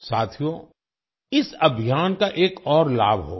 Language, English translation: Hindi, Friends, this campaign shall benefit us in another way